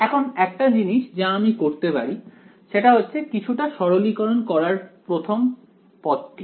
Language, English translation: Bengali, Now, I can the only thing that I can sort of simplify in this is the first term right